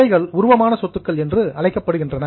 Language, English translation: Tamil, These assets are known as current assets